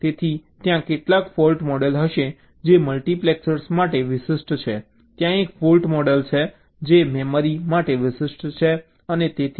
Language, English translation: Gujarati, so there will be some fault model that is specific to a multiplexer, there is a fault model that is specific to a memory and so on